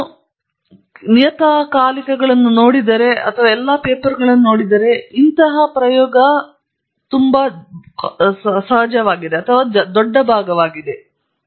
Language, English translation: Kannada, If you look at journals and look at all the papers that come you will find this is a very large fraction